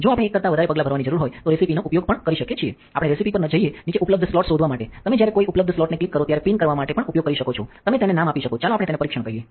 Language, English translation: Gujarati, We could also use a recipe if we need to make more than one step, we go to recipes go to the bottom find available slot, you could also used to pin when you click an available one you can give it a name let us call it test